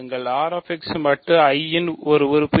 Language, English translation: Tamil, What is an element of R x mod I